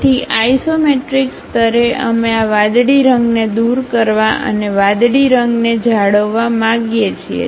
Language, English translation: Gujarati, So, at isometric level we want to remove this cyan color and retain the blue color